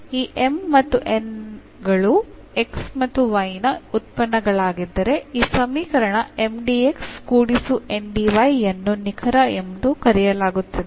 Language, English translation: Kannada, If this M and N are the functions of x and y then this equation Mdx plus Ndy is called exact